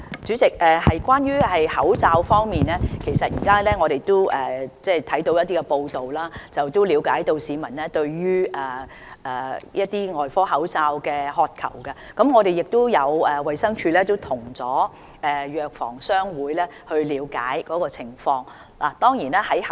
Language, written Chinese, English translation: Cantonese, 主席，關於口罩方面，我們從一些報道中了解到市民對外科口罩的渴求，而衞生署已經向港九藥房總商會了解情況。, President in respect of masks we notice from certain reports that there is a great public demand for surgical masks and DH has made enquiries with the HK . General Chamber of Pharmacy Ltd GCP about the situation